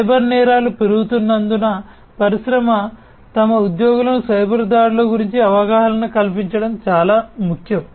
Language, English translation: Telugu, And as cyber crimes are increasing it is more important for the industry to educate their employees about potential cyber attacks